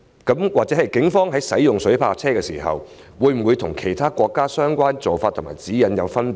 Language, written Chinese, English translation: Cantonese, 警方使用水炮車時，會否與其他國家的相關做法和指引有分別？, Do the Polices practices or guidelines governing the use of water cannon vehicles differ from those of other countries?